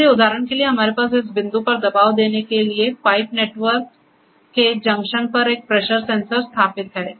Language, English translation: Hindi, So, here for example, we have a pressure sensor installed at the junction of the pipe network to give us the pressure at a pressure at this point